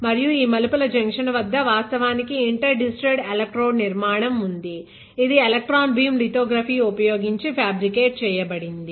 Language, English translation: Telugu, And at the junction of these turns, there is actually inter digitated electrode structure which is fabricated using electron beam lithographic